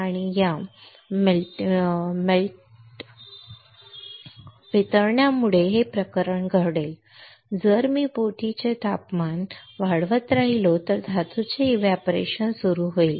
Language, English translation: Marathi, And this melting will cause the matter if I keep on increasing this temperature of the boat the metal will start evaporating